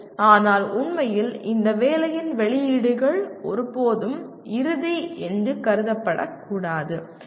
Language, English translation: Tamil, But in actuality, these outputs of these assignment should never be considered as final